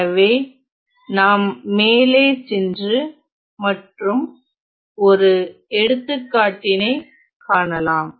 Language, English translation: Tamil, So, moving on let us look at one more example